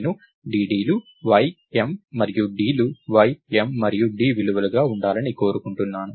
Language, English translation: Telugu, So, I want dd's, y, m and d to be the values y, m and d that are passed on